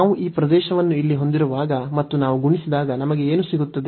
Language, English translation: Kannada, So, what do we get, when we have this area here and then we have multiplied by some height